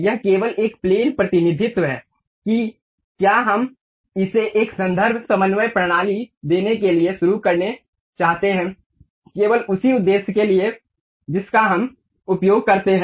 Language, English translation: Hindi, It is just a plane representation whether we would like to begin it to give a reference coordinate system, for that purpose only we use